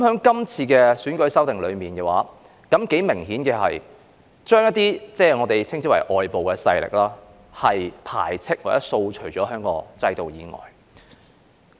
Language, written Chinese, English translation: Cantonese, 今次有關選舉制度的修訂，頗明顯地將一些所謂外部勢力排斥或掃除於香港的制度以外。, This amendment exercise on the electoral system has clearly expelled or removed the so - called external forces from the Hong Kong system